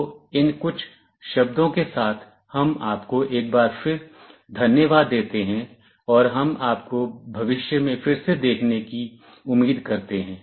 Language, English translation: Hindi, So, with these few words, we thank you once again, and we hope to see you again in the future